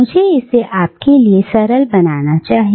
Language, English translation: Hindi, Let me simplify this for you